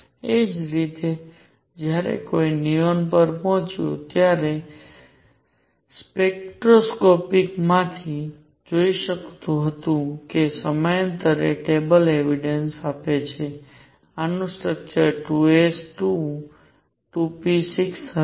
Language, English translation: Gujarati, Similarly when one reached neon one could see from the spectroscopic and these periodic table evidences that this was had a structure of 2 s 2, 2 p 6